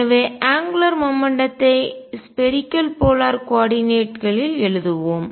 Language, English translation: Tamil, So, let us also write angular momentum in spherical polar coordinates